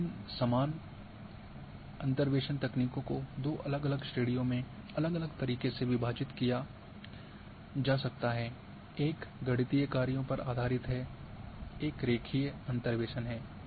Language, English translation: Hindi, Now, these same interpolation techniques can be divided into different way in two different categories; one is based on the mathematical functions, one is the linear interpolations